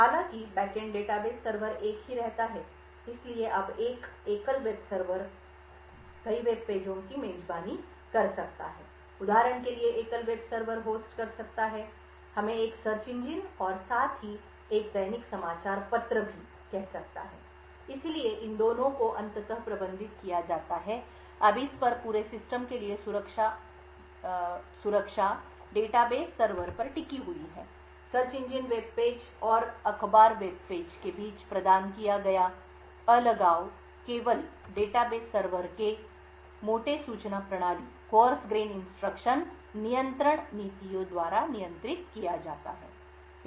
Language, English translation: Hindi, The back end database server however remains the same so now a single web server may host multiple web pages for example the single web server could host let us say a search engine as well as a daily newspaper, so both of these are finally managed by the single database server, now the security for this entire system rests on the database server, the isolation provided between the search engine webpage and the newspaper web page is only controlled by the coarse grained access control policies of the data base server